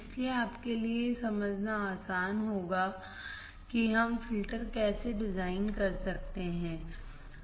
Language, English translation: Hindi, So, it will be easier for you to understand how we can design the filters